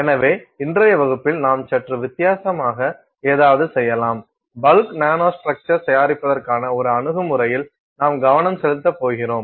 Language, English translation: Tamil, So, in today’s class, we are going to do something slightly a different, we are going to focus on An Approach to Prepare Bulk Nanostructures